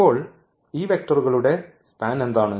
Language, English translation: Malayalam, So, what is the span of these vectors